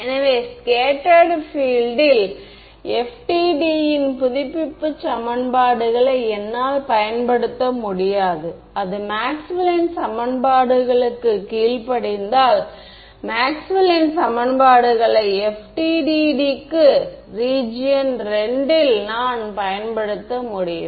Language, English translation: Tamil, So, what no I can apply FDTD update equations to scattered field right if it obeys Maxwell’s equations I can apply FDTD to it in region II what satisfies Maxwell’s equations